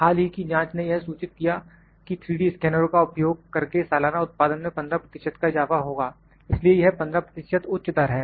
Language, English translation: Hindi, A recent study has reported it that there would be about 15 percent increase in the production using 3D scanners annually so, this is high rate 15 percent